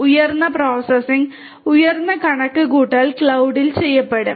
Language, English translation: Malayalam, The higher in processing, higher in computation will be done will be done at the cloud